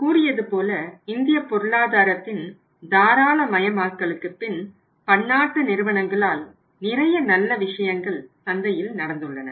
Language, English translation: Tamil, And as I told you that after the liberalisation of Indian economy and the influx of the multinational companies it has brought many things very positive things in the market